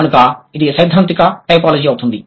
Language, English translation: Telugu, So, that would be the theoretical typology